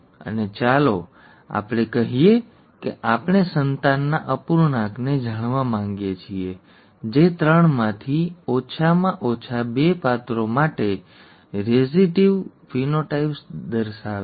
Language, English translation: Gujarati, And let us say that we would like to know the fraction of the offspring that exhibit recessive phenotypes for atleast two of the three characters